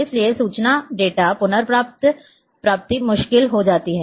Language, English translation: Hindi, And therefore, the information retrieval data retrieval becomes difficult